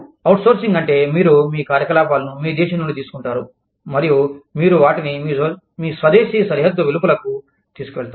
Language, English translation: Telugu, Outsourcing is, you take your operations, from your country, and you take them, outside the border of your home country